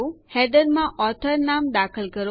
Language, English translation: Gujarati, Insert the author name in the header